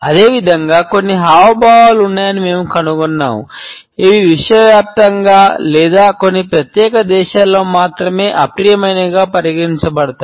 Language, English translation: Telugu, Similarly, we find that there are certain gestures, which are considered to be offensive either universally or in some particular countries only